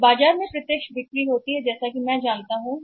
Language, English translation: Hindi, When there is direct sales in the market as I already know it